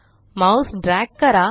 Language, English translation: Marathi, Drag your mouse